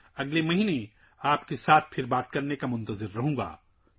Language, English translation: Urdu, I am waiting to connect with you again next month